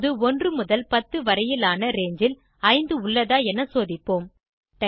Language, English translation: Tamil, Now lets check whether 5 lies in the range of 1 to 10